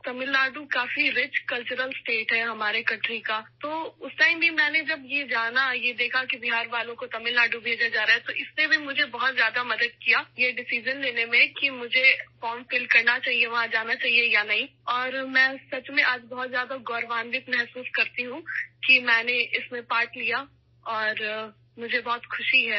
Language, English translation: Urdu, Tamil Nadu is a very rich cultural state of our country, so even at that time when I came to know and saw that people from Bihar were being sent to Tamil Nadu, it also helped me a lot in taking the decision that I should fill the form and whether to go there or not